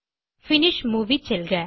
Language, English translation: Tamil, Go to Finish Movie